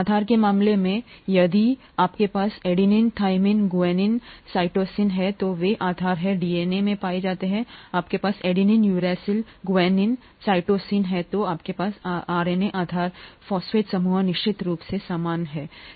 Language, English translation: Hindi, In the case of a base you have, if you have adenine, thymine, guanine, cytosine, those are the bases found in DNA, you have adenine, uracil, guanine, cytosine, then you have the bases found in the RNA, the phosphate group of course is the same